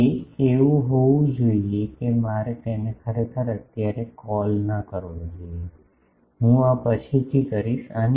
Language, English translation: Gujarati, It should be that I should not call it a actually, this is I will later and